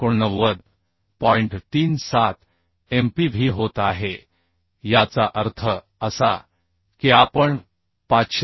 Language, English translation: Marathi, 37 Mpv that means we can equate that 539